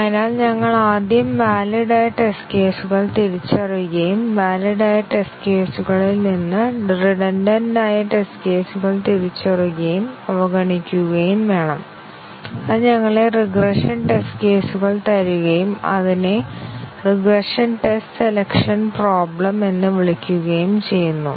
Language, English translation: Malayalam, So, we have to first identify the valid test cases and out of the valid test cases, we need to identify and ignore the redundant test cases and that leaves us with the regression test cases and that is called as the regression test selection problem